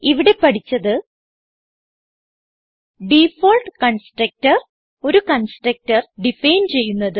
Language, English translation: Malayalam, But here no default constructor is created because we have defined a constructor